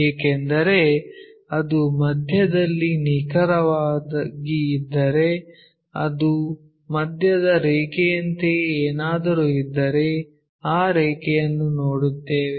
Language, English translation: Kannada, Because it is precisely located at midway if something like midline is that one below that we will see that line